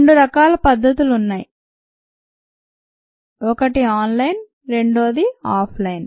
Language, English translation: Telugu, there are two kinds of methods: ah, one online and the other off line